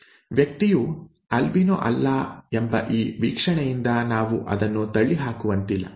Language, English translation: Kannada, We cannot rule that out from just this observation that the person is not an albino